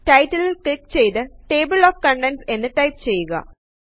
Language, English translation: Malayalam, Click on the title and type Table of Contents